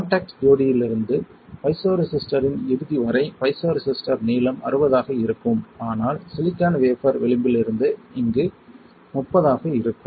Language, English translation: Tamil, The piezoresistor length from the contact pair to the end of the piezoresistor would be 60, but from the silicon wafer edge to here is 30